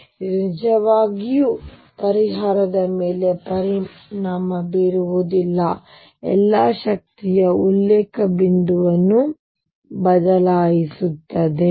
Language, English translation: Kannada, So, it does not really affect the solution all is does is changes a reference point for the energy